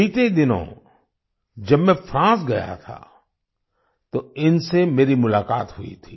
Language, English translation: Hindi, Recently, when I had gone to France, I had met her